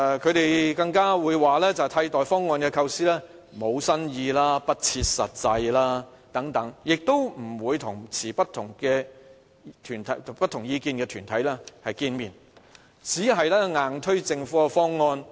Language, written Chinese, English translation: Cantonese, 他們更說替代方案的構思無新意、不切實際等，亦不會與持不同意見的團體見面，只硬推政府的方案。, They despise these alternative proposals for their lack of new ideas and their impracticability and refuse to meet with opposition organizations . The Government puts all efforts on hard selling its own proposal